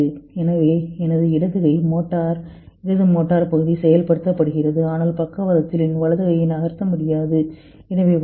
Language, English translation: Tamil, So, my left hand motor, left motor area gets activated but I cannot move my right hand because of the paralysis